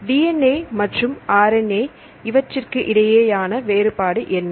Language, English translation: Tamil, About the DNA and RNA; what is the difference between DNA and RNA